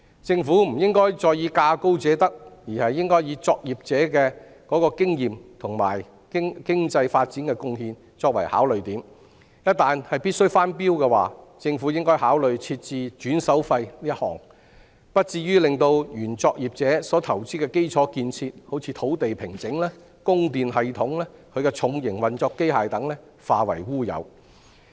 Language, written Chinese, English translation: Cantonese, 政府不應再以價高者得，而應該以作業者的經驗和對經濟發展的貢獻作考慮點，一旦必須翻標，政府應該考慮訂立一項"轉手費"，而不至於令原作業者投資的基礎建設，例如土地平整、供電系統和重型運作機械等化為烏有。, Instead of awarding tenancy to the highest bidder the Government should consider the operators experience and contributions to economic development . In case re - tendering is needed the Government should impose a fee for transfer so that the investment made by the previous operator in basic infrastructure construction such as land formation electricity supply system and heavy operational machinery will not come to naught